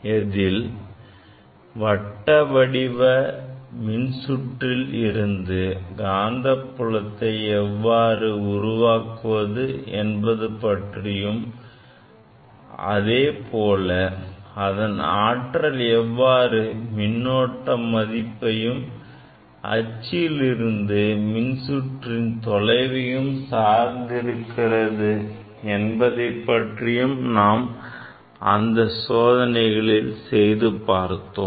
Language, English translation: Tamil, We have demonstrated in laboratory, how to produce magnetic field from a circular coil and how its magnitude depends on the current, magnitude of current and the distance on the coil axis